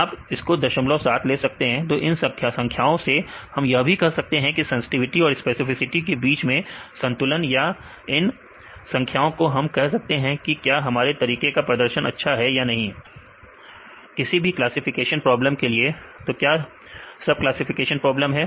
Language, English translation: Hindi, 7; so, from these numbers we can tell this is the balance between sensitivity and specificity or from this numbers we can say whether your method performance good or not; for any classification problems, so these are the classification problems